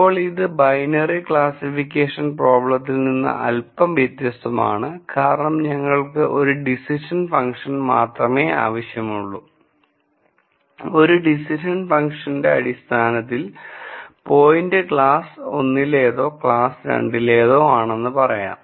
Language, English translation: Malayalam, Now it is slightly different from the binary classification problem because we needed only one decision function and based on one decision function we could say whether a point belongs to class 1 or class 2